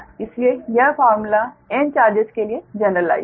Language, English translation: Hindi, what you call is generalized here for n number of charges, right